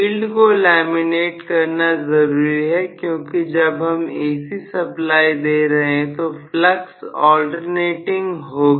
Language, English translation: Hindi, Field has to be laminated; because you are applying AC the flux will be alternating because the flux is alternating